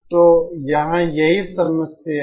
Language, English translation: Hindi, So this is the problem here